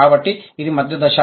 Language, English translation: Telugu, So, that's the intermediate stage